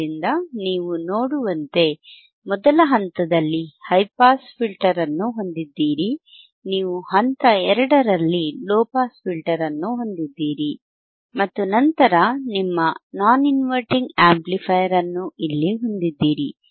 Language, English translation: Kannada, Y you have a low pass filter at stage 2, which is here, and then you have your inverting amplifier your non inverting amplifier here, right